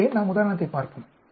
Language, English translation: Tamil, So, let us look at an example